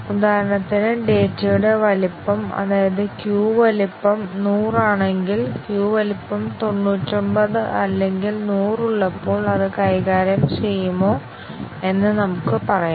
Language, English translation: Malayalam, For example, let us say if the size of the data, that is, queue size is 100, does it handle when there is queue size of 99 or 100